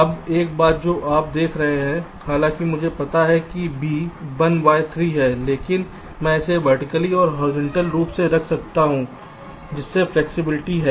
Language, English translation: Hindi, now one thing, you see, see, although i know that b is one by three, but i can lay it out either vertically or horizontally, that flexibility i have